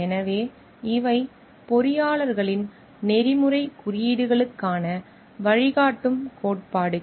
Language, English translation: Tamil, So, these are the guiding principles for the ethical codes of engineers